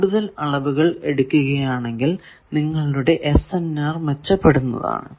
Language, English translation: Malayalam, So, more number of measurements you average your SNR will improve